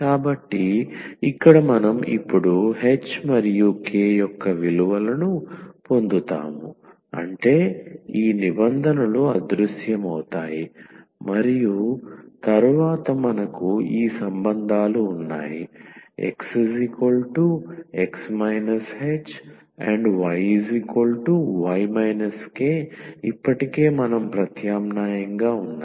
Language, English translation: Telugu, So, here we will get now the values of h and k such that these terms will vanish and then we have these relations, already which we have substituted